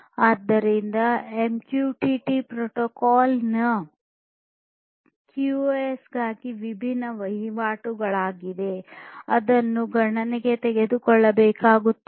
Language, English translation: Kannada, So, for QoS of MQTT protocol there are different transactions that will have to be taken into consideration